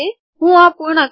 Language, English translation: Gujarati, So let me complete this